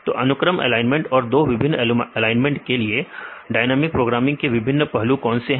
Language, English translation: Hindi, So, what are the different aspects would we use dynamic programming for this sequence alignment and two different alignments